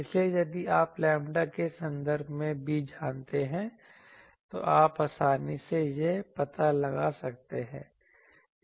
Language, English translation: Hindi, So, if you know b in terms of lambda, you can easily find out this